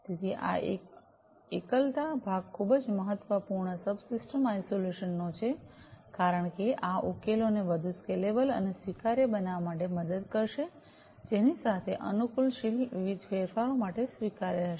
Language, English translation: Gujarati, So, this isolation part is very important subsystem isolation, because this will help in making the solutions much more scalable and adaptable, adaptable to what; adaptable to different changes